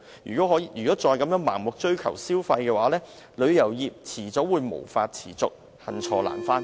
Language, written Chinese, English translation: Cantonese, 如果再盲目追求消費，旅遊業早晚會無法持續，恨錯難返。, If the Government blindly seeks to promote tourist spending the tourism industry will not sustain eventually and such a mistake is hard to rectify